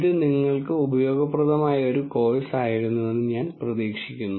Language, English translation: Malayalam, I hope this was an useful course for you